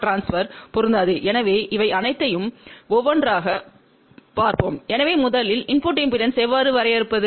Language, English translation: Tamil, So, let see one by one , all these things , so first of all how do we define input impedance